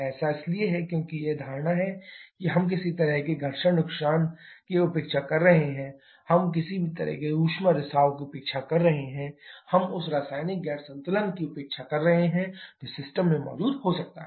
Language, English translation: Hindi, That is because this assumptions like we are neglecting any kind of frictional losses, we are neglecting any kind of heat leakage we are neglecting the chemical non equilibrium that can be present in the system